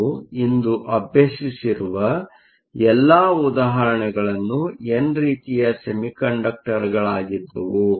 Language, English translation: Kannada, All the examples, you have worked out today were with an n type semiconductor